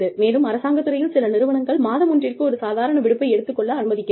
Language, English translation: Tamil, And, in the government sector, in some organizations, we are allowed, one casual leave per month